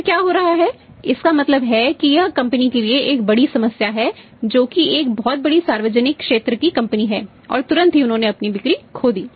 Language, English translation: Hindi, Then what is happening It means is a big problem for the company which is a very large public sector company and immediate suddenly they lost their sales